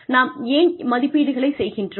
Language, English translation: Tamil, Why do we have appraisals